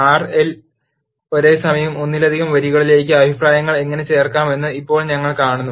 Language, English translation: Malayalam, Now we will see how to add comments to multiple lines at once in R